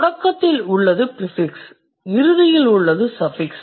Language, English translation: Tamil, So, prefixes at the beginning and suffixes at the end, it is neither of them